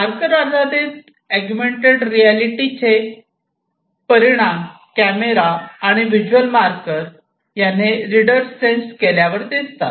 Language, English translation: Marathi, Marker based augmented reality gives an outcome when the reader is sensed by the camera and the visual marker